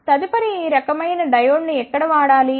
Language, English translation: Telugu, The next is where this type of diode should be used